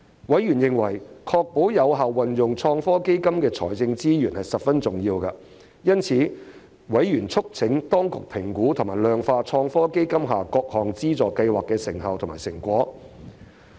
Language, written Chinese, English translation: Cantonese, 委員認為確保有效運用創科基金的財政資源十分重要，因此，委員促請當局評估及量化創科基金下各項資助計劃的成效及成果。, Members considered it very important to ensure the effective use of ITFs financial resources . Therefore members urged the authorities to assess and quantify the effectiveness and achievements of ITFs funding schemes